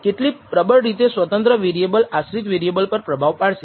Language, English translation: Gujarati, How strongly the independent variable affects the response of the dependent variable